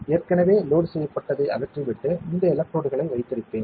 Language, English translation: Tamil, I will remove whatever is already loaded and then keep this electrode